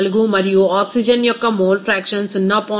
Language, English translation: Telugu, 14 and mole fraction of oxygen it is 0